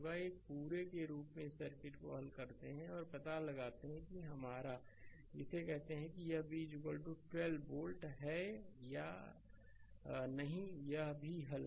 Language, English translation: Hindi, As a whole you solve this circuit, and find out that your what you call that this v is equal to 12 volt or not this is also solve for